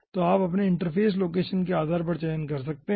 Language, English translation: Hindi, so you can select ah based on your interface location